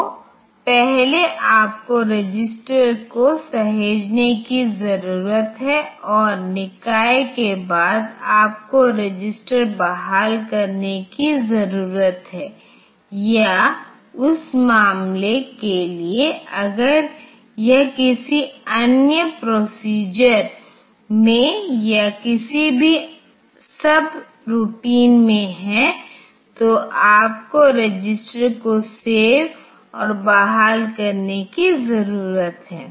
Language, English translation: Hindi, So, before that you need to save the registers you need to save registers and after the body you need to restore registers or for that matter if it is in any other procedure also any other subroutine also and that you need to save registers and restore